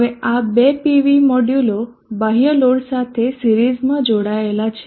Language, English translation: Gujarati, Now these two PV modules are connected in series to a extent load